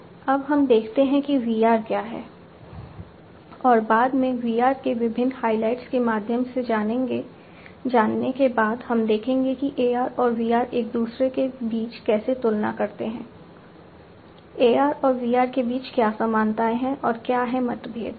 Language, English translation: Hindi, Now, let us look at what is VR and later on, you know, after we have gone through the different highlights of VR, we will see that how AR and VR they compare between each other, what are the similarities between AR and VR and what are the differences